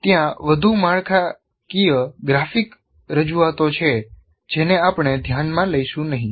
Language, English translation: Gujarati, Still there are more structured graphic representations which we will not see here